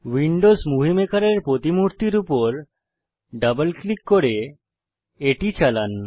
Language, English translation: Bengali, Double click on the Windows Movie Maker, icon to run it